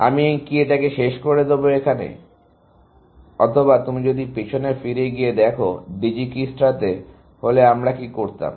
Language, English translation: Bengali, So, should I terminate, or if you go back to what Dijikistra would have done